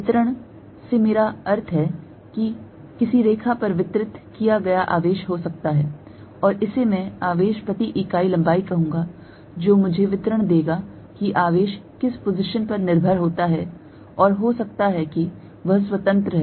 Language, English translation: Hindi, By distribution I mean it could be a charge distributed over a line, and this I will say charge per unit length will give me the distribution that charge could be dependent on which position and moreover it could be independent